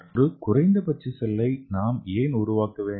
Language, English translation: Tamil, So why to make a minimal cell